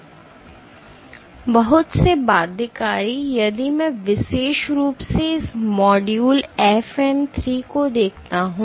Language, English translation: Hindi, So, binding so, many of the binding so, if I particularly look at this module FN 3 it has